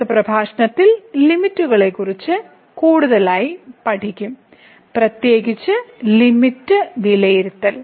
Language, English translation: Malayalam, So, in the next lecture, we will learn more on the Limits, the evaluation of the limit in particular